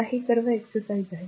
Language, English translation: Marathi, Now, these are all exercise